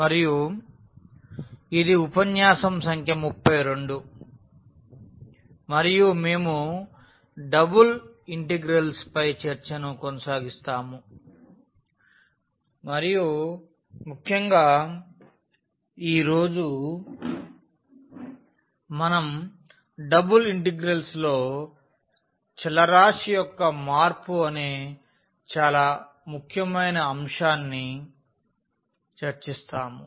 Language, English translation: Telugu, And this is lecture number 32 and we will continue discussion on the double integrals and in particular today we will discuss an very very important topic that is Change of Variables in Double Integrals